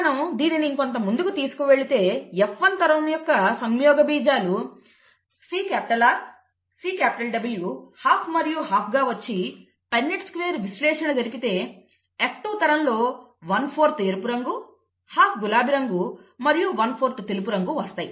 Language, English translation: Telugu, You take this further, you have the gametes from the F1 generation as C capital R, C capital W, half and half and then if you do a Punnett square analysis, one fourth would be red, half would be pink and one fourth would be white in the F2 generation